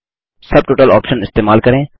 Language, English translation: Hindi, Use the Subtotal option